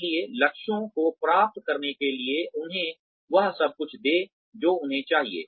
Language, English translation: Hindi, So, give them everything they need, in order to achieve the goals